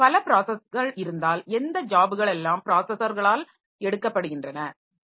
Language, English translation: Tamil, Similarly if we have got multiple processors also then which jobs are picked up by the processors